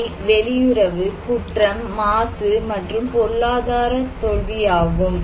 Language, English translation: Tamil, One is the Foreign Affairs, and the crime, pollution, and the economic failure